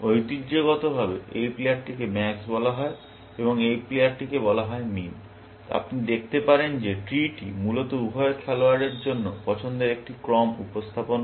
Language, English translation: Bengali, Traditionally, this player is called max, and this player is called min, and you can see that the tree, basically, represents a sequence of choices for both players